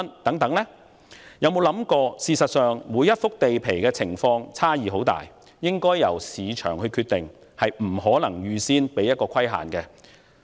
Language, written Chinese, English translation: Cantonese, 大家有否想過，事實上，每幅地皮的情況差異很大，故售價應由市場決定，而非預先設限呢？, Has every one of us thought about the fact that the actual conditions of different pieces of land may vary greatly and thus their prices should be determined by the market instead of being pre - determined